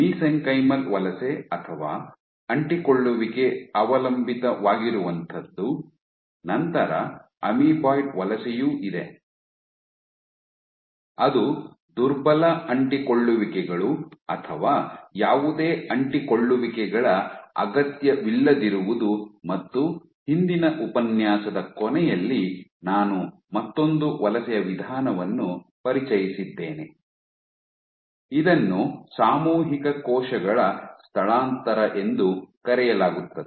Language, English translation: Kannada, So, you have mesenchymal migration or adhesion dependent, you have amoeboid migration which requires weak adhesions or no adhesions and towards the end of last lecture I had introduced another mode of migration which is collective cell migration